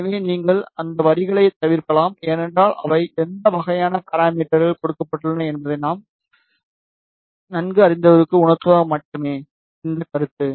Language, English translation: Tamil, So, you can escape all those lines, because those are just comment to make the person familiar with what type of parameters are given